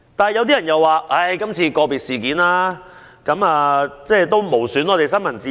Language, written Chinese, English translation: Cantonese, 然而，有人認為，今次個別事件無損香港的新聞自由。, However some people have argued that this individual case will not jeopardize Hong Kongs freedom of the press